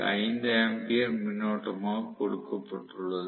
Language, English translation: Tamil, 5 ampere is given as the current